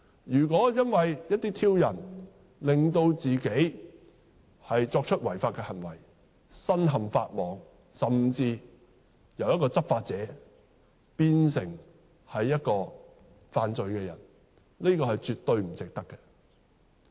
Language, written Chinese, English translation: Cantonese, 如果因為一些挑釁而令自己作出違法行為，身陷法網，甚至由執法者變成犯罪的人，這是絕對不值得的。, If owing to provocation a police officer committed an illegal act and is caught by the law and even turned from a law enforcement officer into a criminal that is definitely not worth it